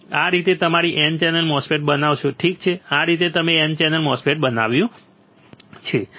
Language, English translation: Gujarati, This is how you fabricate your N channel MOSFET, right cool this is how you fabricated N channel MOSFET